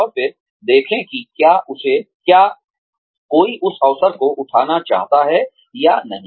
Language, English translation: Hindi, And then, see whether, one wants to take up, that opportunity or not